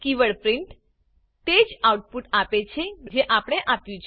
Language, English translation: Gujarati, The keyword print outputs only what we have provided